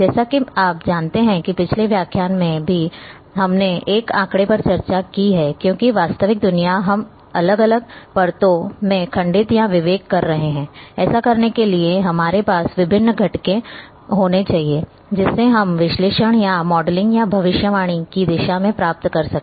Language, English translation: Hindi, As you know that in the previous lecture also we have discussed this figure that because the real world we are segmenting or discretizing into different layers; in order to do that, so that we can towards the analysis or modeling or prediction we need to have different components